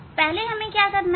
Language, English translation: Hindi, before; what we have to do